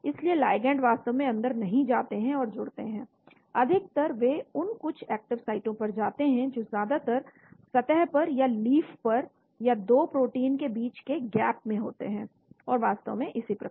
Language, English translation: Hindi, so the ligands do not actually penetrate into and bind, generally they go up to some active sites mostly on the surface or on the leaf or gap between 2 proteins and so on actually